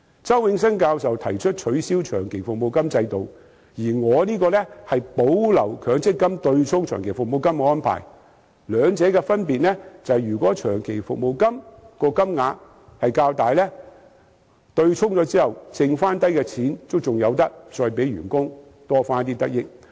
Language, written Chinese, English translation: Cantonese, 周永新教授提出取消長期服務金制度，而我的修正案則建議保留強積金對沖長期服務金的安排；兩者的分別是，根據我的建議，如果長期服務金的金額較大，對沖後剩餘的錢可以令員工有所得益。, While Prof Nelson CHOW has proposed to abolish the system of long service payments my amendment proposes to retain the arrangement of offsetting long service payments against MPF contributions . The difference between these two proposals is that under my proposal if the amount of long service payment is rather large the employee can benefit from the money left after the offsetting